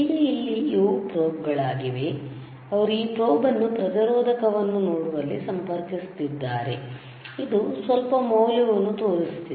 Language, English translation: Kannada, So now, if for this these are the probes, he is in connecting this probe to a resistor you see resistor, right